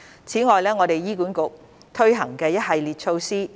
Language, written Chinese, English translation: Cantonese, 此外，我們會在醫院管理局推行一系列措施。, In addition we will implement a series of measures in the Hospital Authority HA